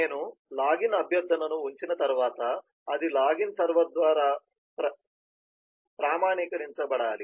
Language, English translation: Telugu, once i have put in the login request, it has to get authenticated by the login server